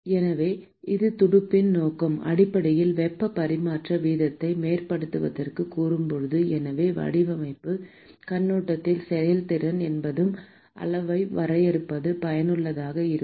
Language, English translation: Tamil, So, note that when we said the purpose of a fin is basically to enhance the heat transfer rate, so therefore, from design point of view, it is useful to define a quantity called efficiency